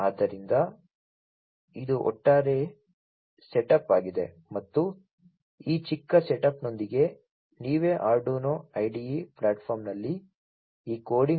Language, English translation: Kannada, So, these are this is the overall setup and you could try it out, you know, you try out by doing this coding in the Arduino IDE platform yourselves, with this very small setup